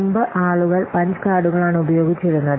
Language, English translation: Malayalam, So, previously people are using Ponce cards